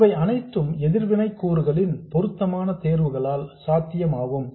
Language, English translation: Tamil, All these are possible with appropriate choice of the reactive components